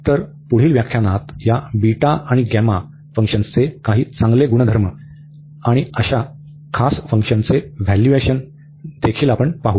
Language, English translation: Marathi, So, in the next lecture, we will also see some nice properties of this beta and gamma function also the evaluation of these such special functions